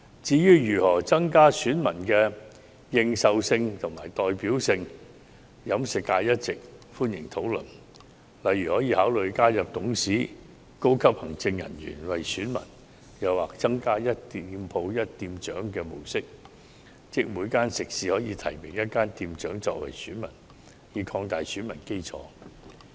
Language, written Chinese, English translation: Cantonese, 至於如何增加選民的認受性和代表性，飲食界一直歡迎討論，例如，可以考慮加入董事及高級行政人員為選民或採用"一店鋪一店長"的模式，即每間食肆可提名一名店長為選民，以擴大選民基礎。, The catering sector welcomes discussion on how to enhance the credibility and representativeness of electors . For example we may consider including directors and senior executives as electors or adopting the one shop one manager approach to allow each restaurant to nominate one of its managers to become an elector so as to broaden the electorate